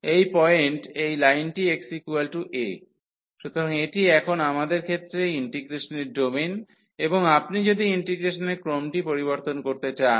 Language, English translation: Bengali, So, this line to this point x is equal to a; so, this is the domain of integration in our case now, and if you want to change the order of integration